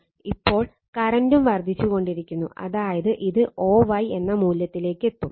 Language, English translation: Malayalam, Now, current is increasing, you will reach a value that value that is o y, this is o, and this is your y, o y right